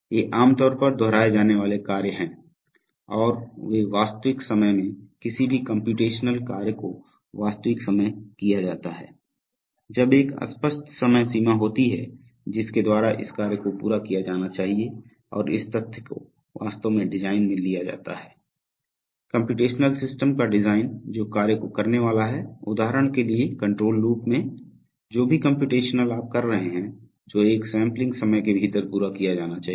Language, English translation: Hindi, So these are generally repetitive tasks and they are, and in the real time any computational task is called real time, when there is an there is an explicit time boundary by which this task should be completed and this fact is actually taken into the design of the, design of the computational system which is supposed to perform this task, for example in a, in a, in a control loop, whatever computation you are having that should be completed within a sampling time